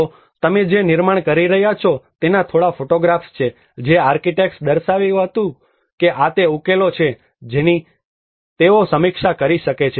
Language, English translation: Gujarati, So what you are seeing is a few photographs of the building models which the architects have demonstrated that these are the solutions which they may review